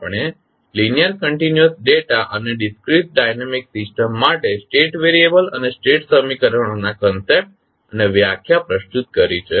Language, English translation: Gujarati, We have presented the concept and the definition of state variables and state equations for linear continuous data and discrete dynamic systems